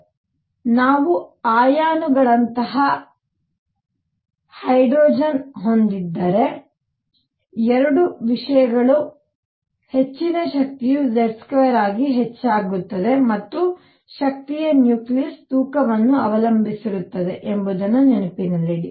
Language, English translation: Kannada, So, so keep this in mind that 2 things if we have hydrogen like ions where Z is higher energy goes up as Z square and energy also depends on the nucleus mass